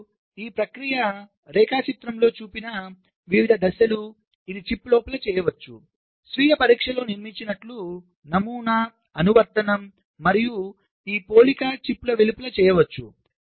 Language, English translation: Telugu, this process, the different steps that involved shown in diagram, this can be done inside the chip, like built in self test, the pattern application and this comparison can be done outside the chip